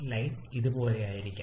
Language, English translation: Malayalam, The line may be somewhat like this